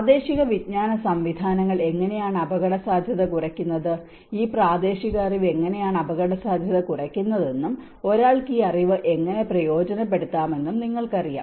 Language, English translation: Malayalam, How the local knowledge systems reduce the vulnerability, you know how this local knowledge have been reducing the vulnerability and how one can tap this knowledge